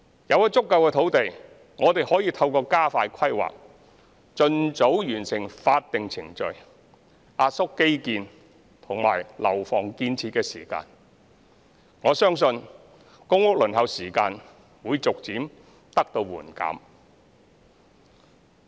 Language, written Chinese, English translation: Cantonese, 有了足夠的土地，我們可以透過加快規劃，盡早完成法定程序，壓縮基建和樓房建設時間，我相信公屋輪候時間會逐漸得到緩減。, With sufficient supply of land we can expedite the planning work so as to complete the statutory procedures as early as possible and compress the time for infrastructure and housing development . I believe the waiting time for PRH units will then be gradually reduced